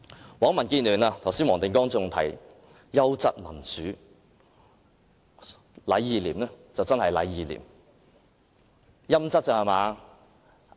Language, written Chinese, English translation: Cantonese, 難為民建聯的黃定光議員剛才還提到"優質"民主，"禮義廉"果真是"禮義廉"，是"陰質"罷了。, How dare Mr WONG Ting - kwong of the Democratic Alliance for the Betterment and Progress of Hong Kong talked about quality democracy earlier on . They are really a bunch of tacky folks with a sense of propriety righteousness and incorruptibility but no sense of shame